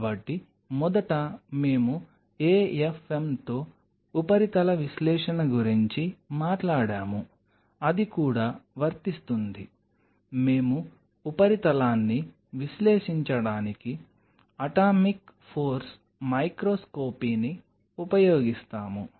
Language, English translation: Telugu, So, first of all we talked about surface analysis with an AFM here also that will apply, we will be using atomic force microscopy to analyze the surface